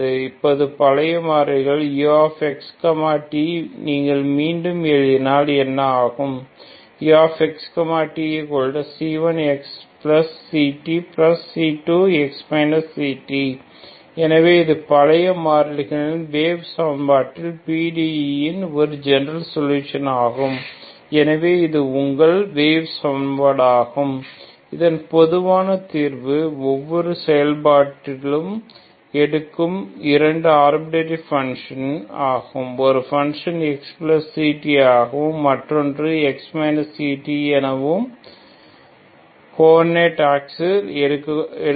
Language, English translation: Tamil, Now in the old variables U X T what happens if you rewrite C1, C1 of eta is X plus C T and C2 is, C2 of Xi is X minus C T so this is your general solution of the wave equation in the old variables the partial differential equation is this one, so this is your wave equation whose general solution is simply two arbitrary functions each function takes, one function takes X plus C T as a ordinate other function takes X minus C T ok